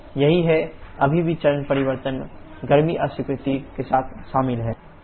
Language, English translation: Hindi, That is, still phase change is involved with heat rejection